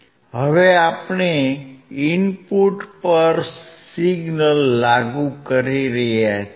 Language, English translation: Gujarati, Now, we are applying the signal at the input